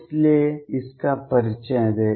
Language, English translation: Hindi, That is why introduce this